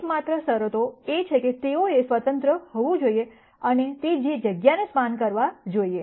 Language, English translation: Gujarati, The only conditions are that they have to be independent and should span the space